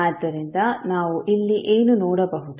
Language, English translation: Kannada, So what we can see here